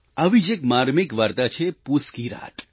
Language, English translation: Gujarati, Another such poignant story is 'Poos Ki Raat'